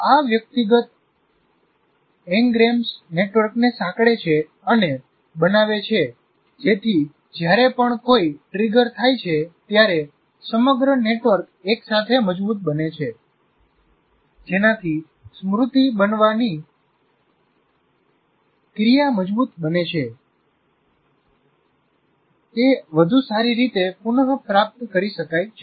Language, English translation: Gujarati, These individual n grams associate and form networks so that whenever one is triggered, the whole network together is strengthened, thereby consolidating the memory, making it more retrievable